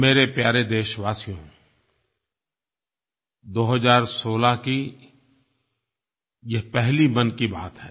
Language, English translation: Hindi, My dear countrymen, this is my first Mann Ki Baat of 2016